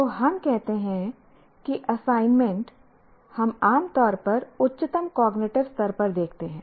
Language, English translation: Hindi, So let us say assignment we generally look at the highest cognitive level